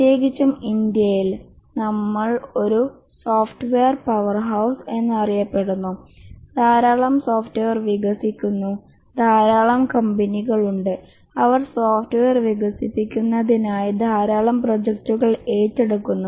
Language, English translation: Malayalam, We encounter software in many places and especially in India, we are known as a software powerhouse, huge amount of software gets developed, large number of companies and they undertake large number of projects to develop software